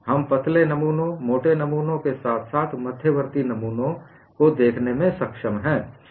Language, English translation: Hindi, We have been able to see for thin specimens, thick specimens as well as intermediate specimens